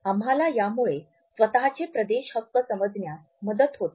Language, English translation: Marathi, So, it helps us to understand our own territorial rights